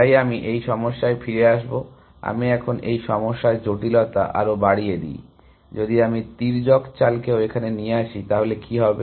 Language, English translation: Bengali, So, I will come back to this problem; let me increase the complexity of this problem, what if I allowed diagonal moves as well